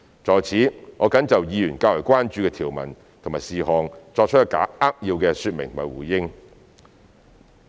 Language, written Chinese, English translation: Cantonese, 在此，我謹就議員較為關注的條文和事項作出扼要的說明和回應。, I will now give a brief explanation and response on the provisions and matters that Members concern the most